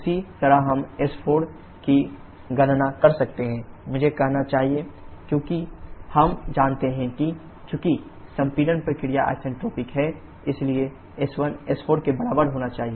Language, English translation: Hindi, The same way we can calculate s4 I should say because we know that as the compression process is isentropic, so s1 should be equal to s4